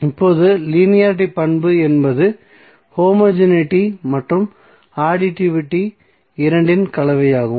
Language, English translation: Tamil, Now linearity property is a combination of both homogeneity and additivity